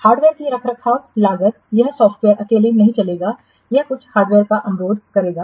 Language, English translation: Hindi, Maintenance cost of hardware, the software will not run alone